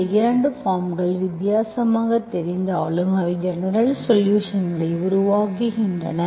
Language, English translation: Tamil, Although these 2 forms look different, actually they form the general solution